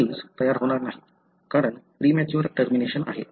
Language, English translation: Marathi, Therefore, the protein will not be made, because there is a premature termination